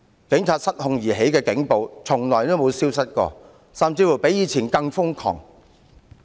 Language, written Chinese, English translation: Cantonese, 警察因失控而起的警暴從來沒有消失過，甚至比以前更瘋狂。, Police brutality caused by uncontrollable police officers has not ceased at all but has gone crazier than before